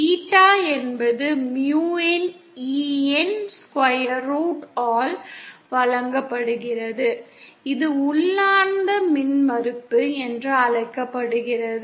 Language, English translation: Tamil, Eta is given by square root of mu over E, is called intrinsic impedance